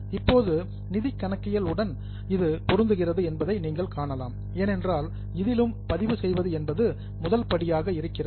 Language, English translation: Tamil, Now, you can see it very well matches with the financial accounting because there also the first step was recording of financial transactions